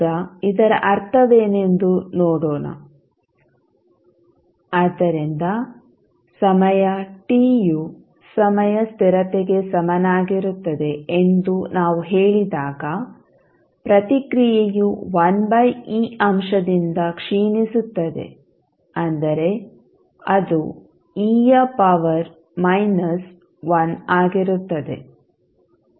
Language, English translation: Kannada, Now, what does it mean let see, so when we say that the time t is equal to time constant tau the response will decay by a factor of 1 by e that is e to the power minus 1